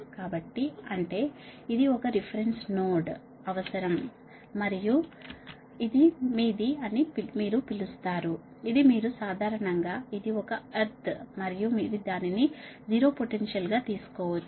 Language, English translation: Telugu, so that means this is an one reference node is required and this is your, what you call, this is your, normally, it's a ground and you can take it as a zero potential right